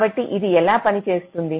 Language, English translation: Telugu, so how does it work